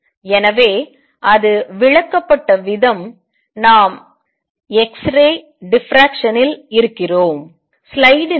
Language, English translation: Tamil, So, the way it was explained we are on x ray diffraction